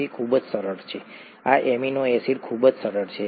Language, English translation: Gujarati, ItÕs very simple; this amino acid is very simple